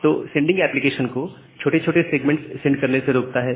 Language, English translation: Hindi, So, the sending it prevents the sending application to send small segments